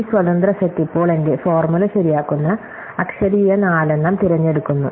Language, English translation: Malayalam, So, this independent set now picks out those literal which four, which make my formula true